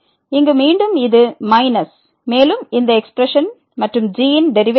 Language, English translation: Tamil, So, here minus and divided by this minus and the derivative of will be